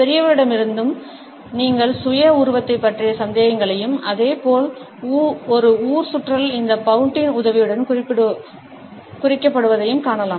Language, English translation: Tamil, Even in adults you would find that doubts about self image, as well as a flirtation is indicated with the help of this pout